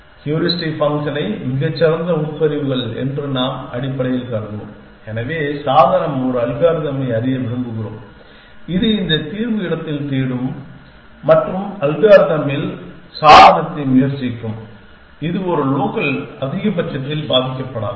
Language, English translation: Tamil, We will basically assume that the most clauses the better the heuristic function, so we want to know device a algorithm it will search in this solution space and try to device in algorithm, which will not get struck in a local maximum